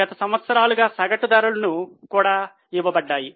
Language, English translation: Telugu, Average price is also given for last 5 years